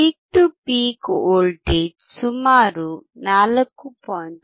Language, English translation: Kannada, The peak to peak voltage is almost 4